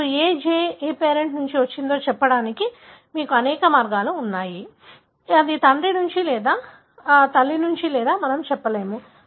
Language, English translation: Telugu, Now, you have many ways to tell which G had come from which parent, whether it is from father or it is from mother, we cannot say